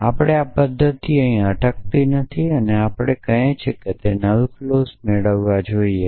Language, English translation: Gujarati, But our method does not stop here our method says we have must derive the null clause